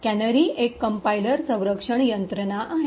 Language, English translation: Marathi, So, canary is a compiler defense mechanism